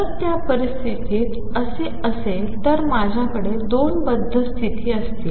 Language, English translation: Marathi, If that is the case in that situation I will have two bound states